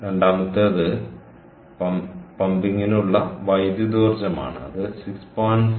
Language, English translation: Malayalam, a second one is electrical energy for pumping